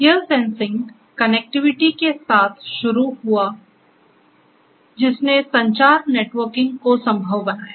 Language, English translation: Hindi, It started with the sensing, sensing, connectivity which took care of communication networking and so on